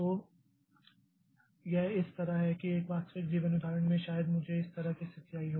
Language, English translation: Hindi, So, so it is like this that suppose in a real life example may be I have a situation like this